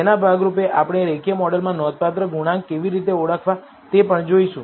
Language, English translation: Gujarati, As a part of this, we are also going to look at how to identifying, significant coefficients in the linear model